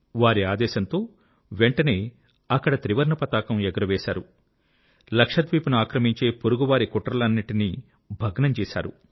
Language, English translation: Telugu, Following his orders, the Tricolour was promptly unfurled there and the nefarious dreams of the neighbour of annexing Lakshadweep were decimated within no time